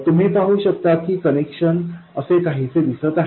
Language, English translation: Marathi, You can see that the connection looks something like this